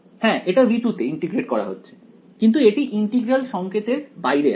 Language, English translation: Bengali, This is being integrated in v 2 yes, but its outside the integral sign right